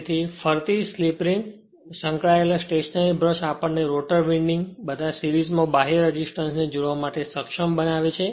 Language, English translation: Gujarati, \ So, the revolving slip ring and you are associated stationary brushes enables us to connect external resistance in series with the rotor winding right